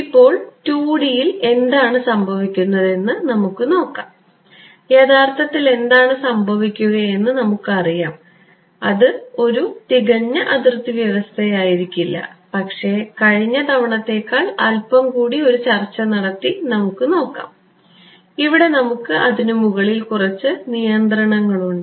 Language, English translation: Malayalam, Now, let us see what happens in 2D, we already know what will happen actually, it will not be a perfect boundary condition but, let us make the let us take a discussion little bit further than last time and see and do you have some control over it ok